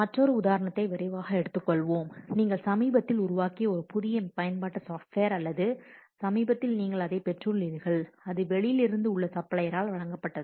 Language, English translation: Tamil, Let's quickly take another example where a new software application you have just recently built or you have just recently you have obtained it which was supplied by outside supplier